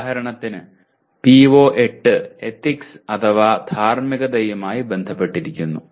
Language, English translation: Malayalam, For example PO8 is related to ethics